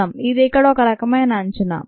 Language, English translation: Telugu, this will be some sort an estimate here